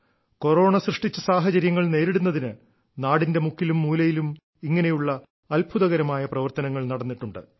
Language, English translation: Malayalam, Such amazing efforts have taken place in every corner of the country to counter whatever circumstances Corona created